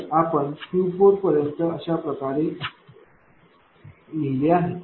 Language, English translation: Marathi, So, up to Q 4 it is fine, up to Q 4 it is fine